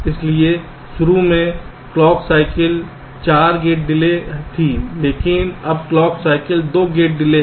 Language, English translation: Hindi, so, ah, so initially clock cycle was four gate delays, but now clock cycle is two gate delays